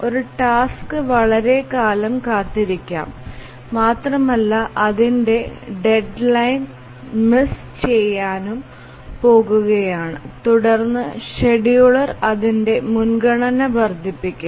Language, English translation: Malayalam, So, one task may be waiting for long time and it's about to miss its deadline, then the scheduler will increase its priority so that it will be able to meet its deadline